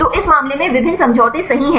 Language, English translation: Hindi, So, in this case there are various conformations right